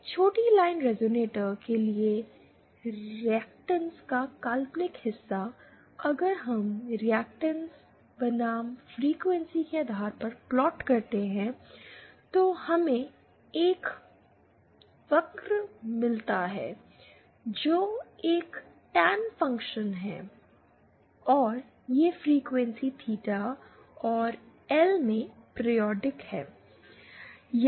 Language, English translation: Hindi, For a shorted line resonator, the imaginary part of the reactance, if we plot the reactance vs the frequency, then we get a curve like this which is a Tan function and this is periodic in frequency theta and L